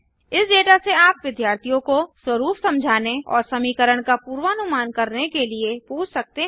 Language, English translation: Hindi, From this data you can ask the students to understand the pattern and predict the function